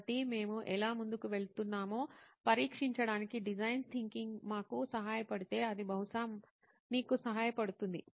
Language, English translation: Telugu, So if design thinking can shed light on this is going to be how we are going to proceed then it will probably help you